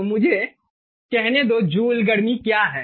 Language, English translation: Hindi, ok, so let me say what is joule heat